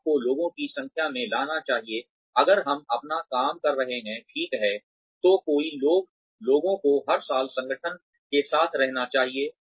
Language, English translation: Hindi, You should bring in, the number of people, if we are doing our work, well, so many people should be staying with the organization every year